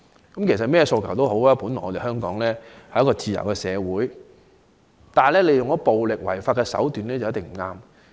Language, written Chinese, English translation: Cantonese, 無論他們有甚麼訴求，在香港這個自由社會，使用任何暴力違法的手段便一定有錯。, No matter what their demands are employing any violent and unlawful means to further these ends is surely wrong in the free society of Hong Kong